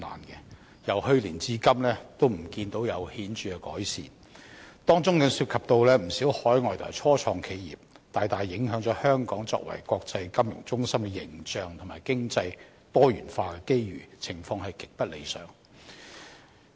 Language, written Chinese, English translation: Cantonese, 可是，由去年至今仍未見有顯著改善，當中涉及不少海外和初創企業，大大影響香港作為國際金融中心的形象和經濟多元化的機遇，情況極不理想。, Since many of those SMEs are overseas companies and start - ups this has seriously undermined Hong Kongs image as an international financial centre and the opportunities of economic diversification which is extremely undesirable